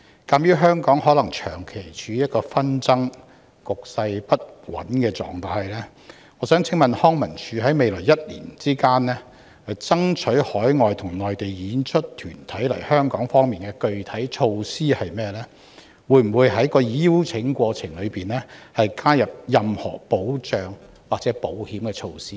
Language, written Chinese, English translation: Cantonese, 鑒於紛爭可能持續，令香港長期處於局勢不穩的狀態，康文署在未來一年有否任何具體措施，爭取海外及內地團體來港演出，例如會否在邀請過程中加入任何保障或保險措施？, Given that the social unrest may continue and thus result in long - term instability in Hong Kong will LCSD in the coming year put in place any specific measures to attract overseas and Mainland groups to stage performances in Hong Kong such as incorporating safeguarding measures or insurance terms in the invitation process?